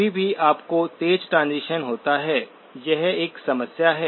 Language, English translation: Hindi, Anytime you have sharp transition, that is a problem